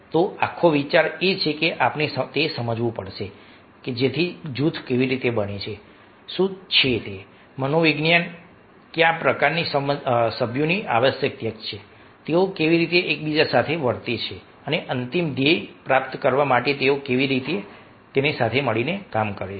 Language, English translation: Gujarati, so the whole idea is that we have to understand how groups are formed, what is the psychology, what kind of members are required, how do they behave among themselves and how do they work together to achieve the ultimate goal